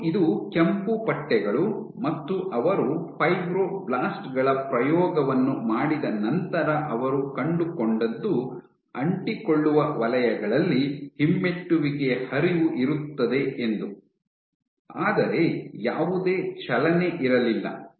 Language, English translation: Kannada, And you his red stripes and you did the experiment with fibroblasts what they found was there was retrograde flow in adhesive zones, but no movement